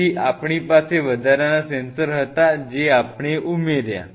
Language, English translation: Gujarati, So, we had additional sensors what we added